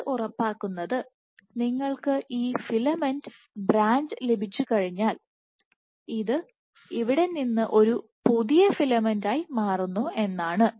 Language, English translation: Malayalam, What it also ensures, once you have this filament branch this becomes a new filament from here onwards